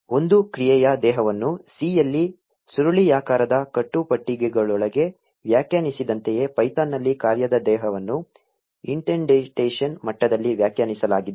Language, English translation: Kannada, Just like the body of a function is defined within curly braces in C; in python, the function body is defined within an indentation level